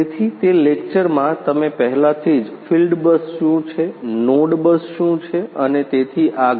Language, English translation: Gujarati, So, in that lecture you have already you know learnt about what is field bus, what is node bus and so, on